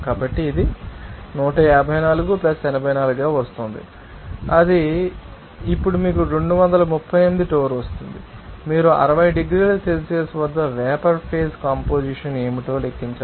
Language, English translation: Telugu, So, it will be coming as 154 + 84 then it will give you that 238 torr now, you have to calculate what the vapor phase composition at 60 degrees Celsius